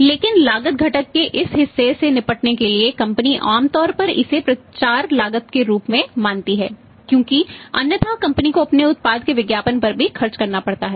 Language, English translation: Hindi, But to deal with this cost component part companies normally treat it as the promotional cost because otherwise also the company has to spend on advertising of their product